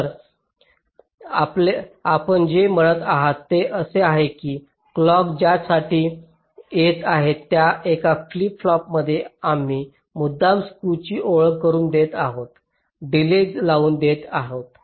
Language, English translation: Marathi, so what you are saying is that in one of the flip flop where the clock is coming, we are deliberately introducing a skew, introducing a delay